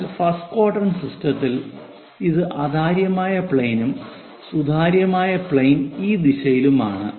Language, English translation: Malayalam, but in first quadrant system that is a opaque plane and the transparent plane is in this direction